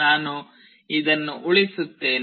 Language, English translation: Kannada, I will save this